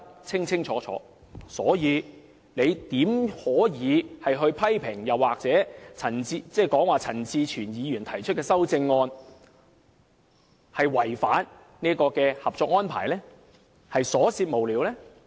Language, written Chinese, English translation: Cantonese, 因此，怎可以批評陳志全議員提出的修正案違反《合作安排》，是瑣屑無聊？, In this respect how can we criticize the amendments of Mr CHAN Chi - chuen for its frivolousness and its breach of the Co - operation Arrangement?